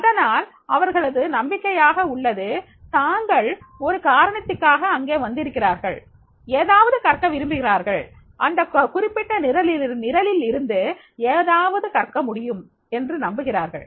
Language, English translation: Tamil, So, they believe is there, they have come with the purpose, they want to learn something and they believe that yes, they can learn from this particular program